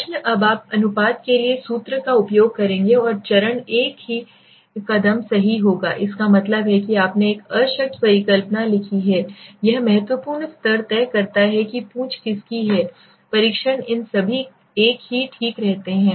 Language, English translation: Hindi, The question comes Now what will you do use the formula for proportions and the steps same step right that means what you have write a null hypothesis this is decide the significant level decide the tail of the test all these remain the same okay